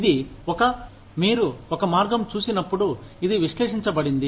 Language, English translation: Telugu, It is a, when you look at the way, this has been analyzed